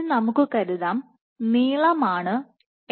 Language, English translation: Malayalam, So now, let us assume that this length is L ok